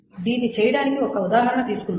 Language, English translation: Telugu, Let us take an example to do it